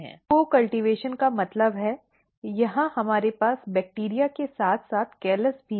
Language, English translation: Hindi, So, co cultivation means, here we have bacteria as well as the callus